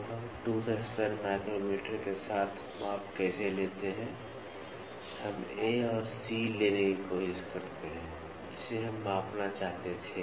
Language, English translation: Hindi, So, how do we use the measurement with the tooth span micrometer, we try to take A and C we wanted to measure